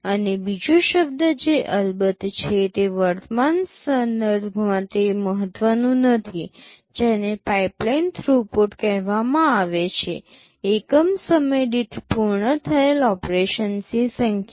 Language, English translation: Gujarati, And another term which is of course is not that important in the present context is called pipeline throughput; the number of operations completed per unit time